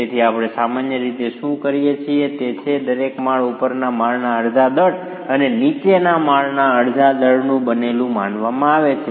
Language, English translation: Gujarati, So, what we typically do is every flow is considered to be composed of half the mass of the story above and half the mass of the story below